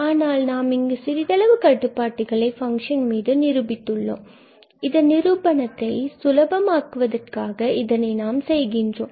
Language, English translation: Tamil, But here, we have just restricted bit more this function for the simplicity of the proof